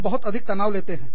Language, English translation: Hindi, We take, so much of stress